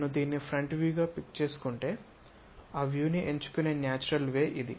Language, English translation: Telugu, If I am going to pick this one as the front view, this is the natural way of picking up that view